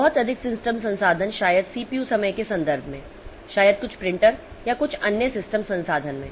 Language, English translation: Hindi, Too much of system resources maybe in terms of CPU time, maybe in terms some printer or some other system resource